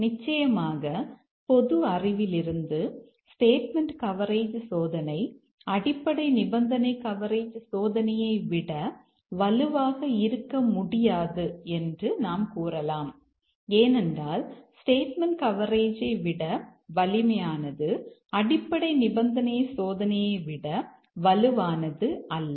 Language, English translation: Tamil, Of course, from common sense you can say that statement coverage testing cannot be stronger than basic condition coverage testing because one which is stronger than the statement coverage that also is not stronger than basic condition testing